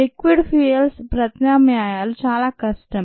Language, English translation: Telugu, it is rather difficult to replace liquid fuels